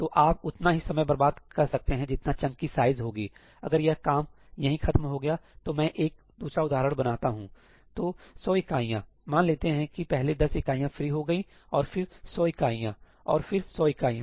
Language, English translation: Hindi, So, you could waste as much time as the size of the chunk; if this job ended over here let me construct another example: so, 100 units; let us say that the first 10 units got free and then 100 units and then 100 units